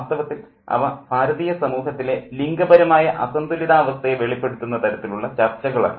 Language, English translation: Malayalam, In fact, they are a kind of a discussion which reveals the gender imbalance in the Indian society